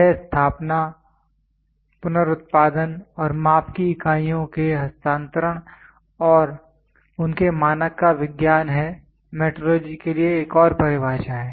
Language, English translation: Hindi, It is the science concern with the establishment, reproduction and transfer of units of measurements and their standards are another definition for metrology